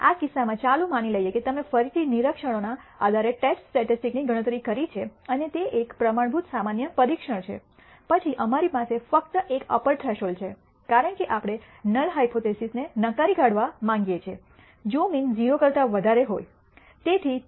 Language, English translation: Gujarati, In this case let us assume that you again have computed a test statistic based on the observations and that is a standard normal test , then we only have an upper threshold, because we want to reject the null hypothesis only if the mean is greater than 0